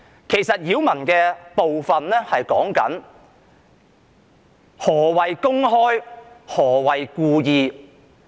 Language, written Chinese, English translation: Cantonese, 其實，擾民所指的是何謂"公開"、何謂"故意"。, In fact the nuisance hinges on the meaning of public and intentional